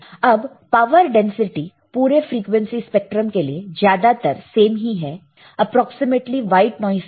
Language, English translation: Hindi, Now, power density is nearly equal to the frequency spectrum approximately the white noise